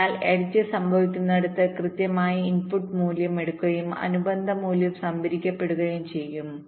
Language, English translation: Malayalam, so exactly at the point where the edge occurs, whatever is the input value, that will be taken and the corresponding value will get stored